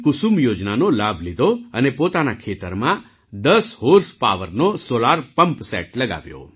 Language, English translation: Gujarati, He took the benefit of 'PM Kusum Yojana' and got a solar pumpset of ten horsepower installed in his farm